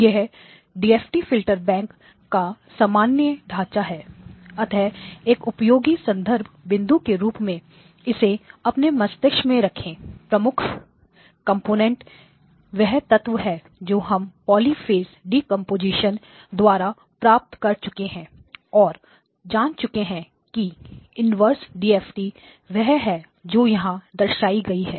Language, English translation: Hindi, The general framework of a DFT filterbank, so keep this as a useful reference point so this would be a DFT filterbank and key elements are the fact that we have done the polyphase decomposition and have shown that the inverse DFT is the one that appears here